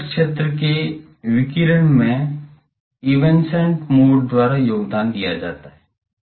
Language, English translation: Hindi, So, near zone radiation is contributed by these evanescent modes